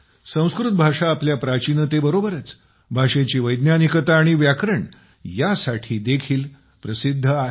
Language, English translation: Marathi, Sanskrit is known for its antiquity as well as its scientificity and grammar